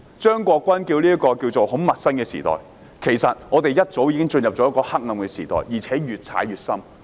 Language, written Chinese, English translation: Cantonese, 張國鈞議員稱這是一個很陌生的時代，其實我們早已進入黑暗時代，而且越陷越深。, Mr CHEUNG Kwok - kwan once said that this was an unfamiliar age . In fact we have entered a dark age for long and we are sinking deeper into the quagmire